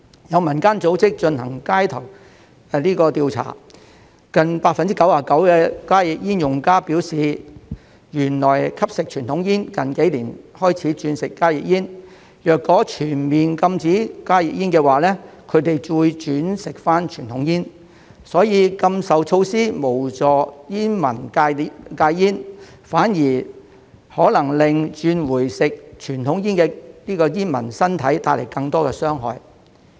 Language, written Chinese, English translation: Cantonese, 有民間組織進行街頭調查，近 99% 的加熱煙用家表示原來吸食傳統煙，近幾年才轉吸加熱煙，若全面禁止加熱煙，他們會轉回吸傳統煙，所以禁售措施無助煙民戒煙，反而可能對轉回吸傳統煙的煙民的身體帶來更多傷害。, According to a street survey conducted by a non - governmental organization close to 99 % of HTPs users said that they used to smoke conventional cigarettes and switched to HTPs only in recent years and that they would switch back to conventional cigarettes in the event of a full ban on HTPs . Therefore the ban will not be of any help to smokers in quitting smoking . On the contrary it may do a lot more harm to the health of smokers who switched back to conventional cigarettes